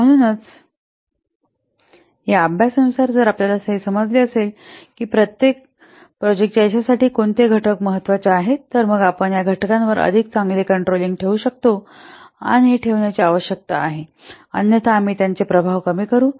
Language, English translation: Marathi, So, with this study if you will know that which factors are most important to success of the project, then we need to decide whether we can exercise better control over these factors or otherwise will mitigate their effects